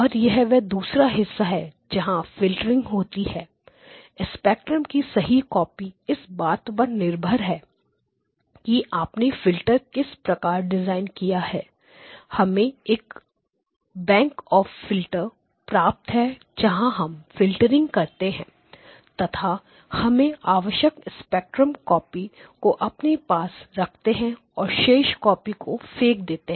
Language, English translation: Hindi, And this is the second part is where the filtering occurs to keep the correct copy of the spectrum depends on how you have designed the filters you get a bank of filters and this is the portion where we do the filtering and filtering the desired spectral copy you keep the desired spectral copy and throw away the others okay